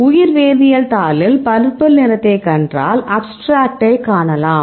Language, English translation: Tamil, So, in the bio chemistry paper, if you see the purple you can access the abstract